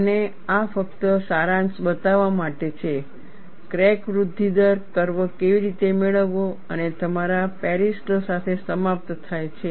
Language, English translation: Gujarati, And this is just to show a summary, how to get the crack growth rate curve and end with your Paris law